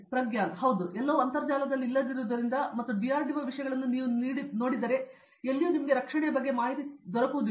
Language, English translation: Kannada, Yes, and because everything is not in the internet or because if you see DRDO things is not available anywhere defense